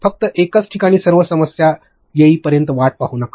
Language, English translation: Marathi, Do not just till all possible problems in one place